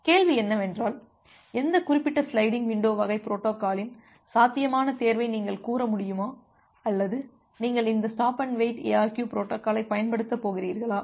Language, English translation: Tamil, The question comes that can you tell a feasible choice of which particular sliding window type of protocols or whether you are going to use this stop and wait ARQ protocol